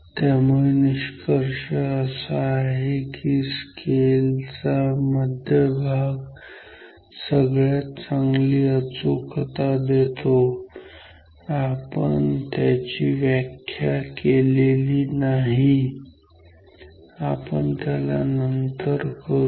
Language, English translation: Marathi, So, the conclusion is so, the central part of the scale will have best precession or accuracy right now we have not defined this terms formally 8 we will do that later